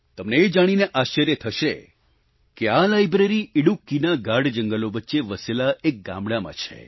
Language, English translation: Gujarati, You will be surprised to learn that this library lies in a village nestling within the dense forests of Idukki